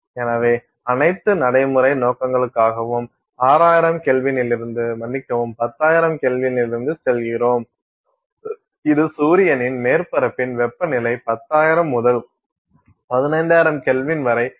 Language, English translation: Tamil, So, for all practical purposes you are going from 6,000K at the sorry we are going from 10,000K which is more than double the I mean temperature of the surface of the sun from 10,000 to 15,000K